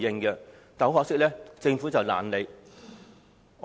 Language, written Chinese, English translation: Cantonese, 很可惜，政府懶理。, Sadly the Government could not care less